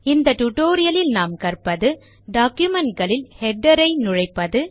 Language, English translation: Tamil, In this tutorial we will learn: How to insert headers in documents